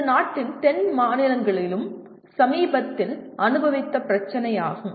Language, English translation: Tamil, This is also recently experienced problem in the southern states of the country